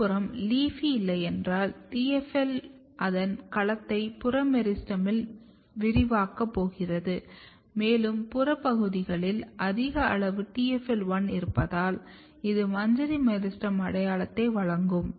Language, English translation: Tamil, On the other hand if you do not have LEAFY then TFL is going to expand its domain in the in the peripheral meristem and since you have high amount of TFL1 in the in the peripheral domain basically it will provide inflorescence meristem identity